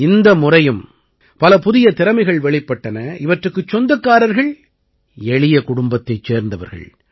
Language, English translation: Tamil, This time too many such talents have emerged, who are from very ordinary families